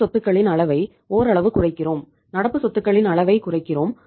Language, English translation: Tamil, We increase the we reduce the level of current assets somewhat not much but we reduce the level of current assets